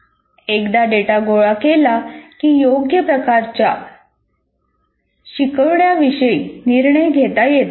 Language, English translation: Marathi, Once the data is collected, a decision about the appropriate forms of instruction then can be made